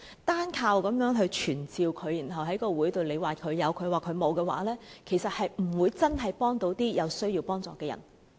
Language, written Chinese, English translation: Cantonese, 單靠傳召署長，然後在會上各有各的說法，其實不會真正幫到有需要幫助的人。, Merely summoning the Commissioner and starting an inconclusive discussion in society will not actually help